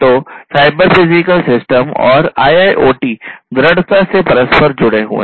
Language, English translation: Hindi, So, cyber physical systems and IIoT are strongly interlinked